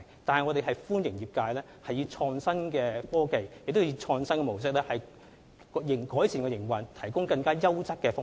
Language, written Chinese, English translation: Cantonese, 不過，我們歡迎業界利用創新的科技及經營模式，為市民提供更優質的服務。, Nonetheless we welcome the trade to provide quality services to member of the public by adopting innovative technology and mode of operation